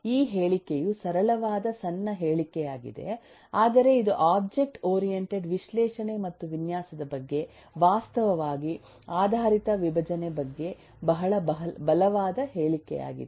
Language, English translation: Kannada, this is this statement is a simple, short statement, but this is a very strong statement about object oriented decomposition, in fact, about object oriented analysis and design